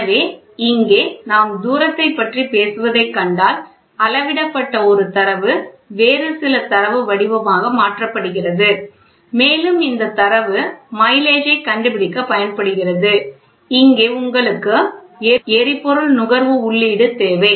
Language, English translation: Tamil, So, here if you see we talk about distance so, a single measured data is converted into some other data form and this data is used to find out the mileage and here you also need an input of fuel consumption